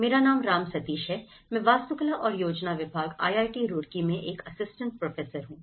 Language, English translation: Hindi, My name is Ram Sateesh; I am an assistant professor in Department of Architecture and Planning, IIT Roorkee